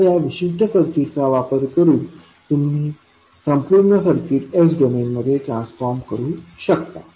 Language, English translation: Marathi, Now, using this particular circuit you can transform the complete circuit in the S domain